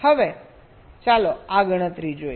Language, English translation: Gujarati, ok, now let us see that